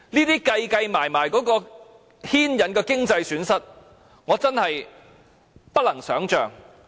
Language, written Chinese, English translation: Cantonese, 凡此種種，在運算後，所牽引的經濟損失，我真的不能想象。, When all these are added up and counted I frankly cannot imagine the resultant economic losses